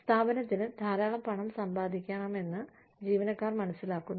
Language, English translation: Malayalam, Employees understand that, the organization needs to make a lot of money